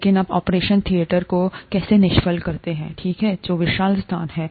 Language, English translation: Hindi, But how do you sterilize operation theatres, okay, which are huge spaces